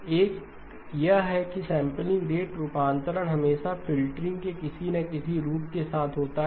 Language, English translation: Hindi, One is that the sampling rate conversion always goes with some form of filtering